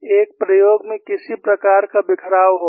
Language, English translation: Hindi, In an experiment, there would be some sort of a scatter